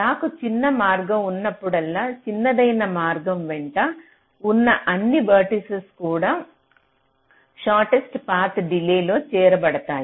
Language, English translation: Telugu, ok, so whenever i have a shortest path, all the vertices along the shortest path also will be included in the shortest path delay